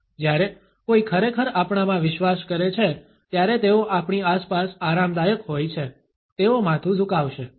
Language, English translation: Gujarati, When somebody really believes in us they are comfortable around with us, they will tilt their head